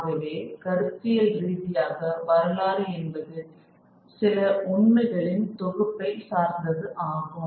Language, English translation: Tamil, And so, so notionally history has to depend on some collected facts